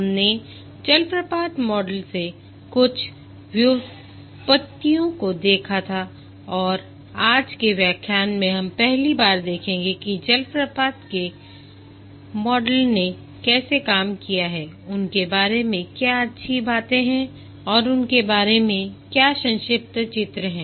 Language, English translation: Hindi, We had looked at some of the derivatives from the waterfall model and in today's lecture we will first see how the waterfall models have done what are the good things about them and what were the shortcomings about them